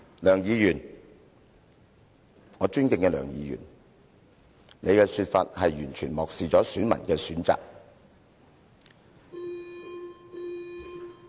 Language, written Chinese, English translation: Cantonese, 梁議員，我尊敬的梁議員，你的說法完全漠視選民的選擇。, Dr LEUNG the Honourable Dr LEUNG your remarks are a sheer neglect of the choices of the voters